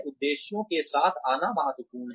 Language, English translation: Hindi, Coming up with objectives is important